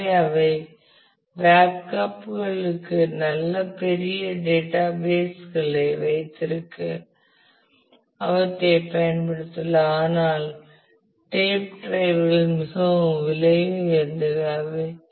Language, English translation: Tamil, So, we can use them to hold really really large databases they are good for Backups and so, on, but the tape drives are quite expensive